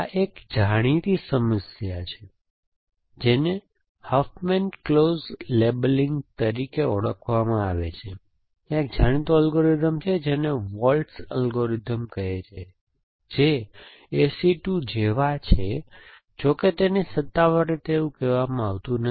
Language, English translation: Gujarati, This is a famous problem know as Huffman close labeling and there is a well know algorithm call Waltz algorithm which is some were like is A C 2, one more less, so it is not officially called like that